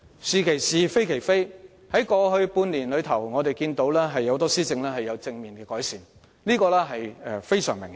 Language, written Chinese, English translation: Cantonese, "是其是，非其非"，在過去半年間，我們看到很多施政也有正面改善，這是相當明顯的。, We say what is right as right and denounce what is wrong as wrong . Over the past six months we have seen many positive improvements in policy administration and these are all very clear